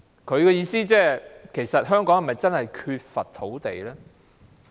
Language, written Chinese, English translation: Cantonese, 他的意思是其實香港是否真的缺乏土地呢？, What he meant was Is it true that there is a shortage of land in Hong Kong?